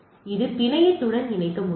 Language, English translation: Tamil, So, it can be connected to the network